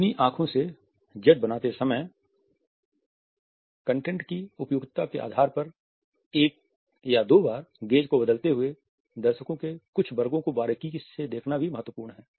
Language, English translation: Hindi, While making the Z with your eyes, it is also important to look closely at certain sections of the audience once and twice varying the gaze depending on the suitability of the content